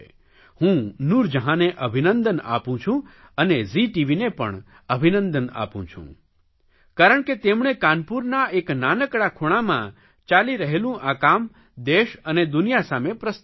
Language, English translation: Gujarati, I congratulate Noor Jehan and Zee TV that they presented this effort which was going on in a remote corner of Kanpur to the country and the world